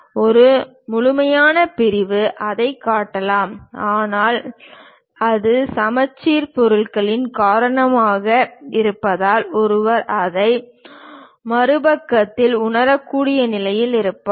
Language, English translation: Tamil, One can have complete section show that; but it is because of symmetric object, the same thing one will be in a position to sense it on the other side